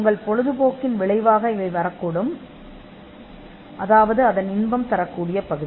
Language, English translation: Tamil, It could come because of an outcome of your hobby; that is, the pleasure part of it